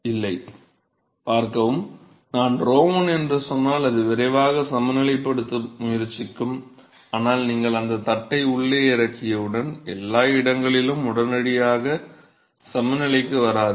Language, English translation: Tamil, No, no see, when I say it is rho 1 it will try to quickly equilibrate, but then as soon as you drop that plate inside, not every location is going to equilibrate immediately